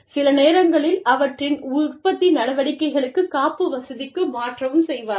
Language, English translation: Tamil, And, sometimes, even shift their production operations, to a backup facility